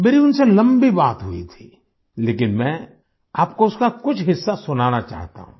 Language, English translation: Hindi, I had a long chat with her, but I want you to listen to some parts of it